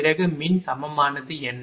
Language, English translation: Tamil, Then what is the electrical equivalent